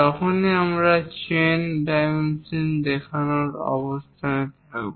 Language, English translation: Bengali, Now, we would like to use chain dimensioning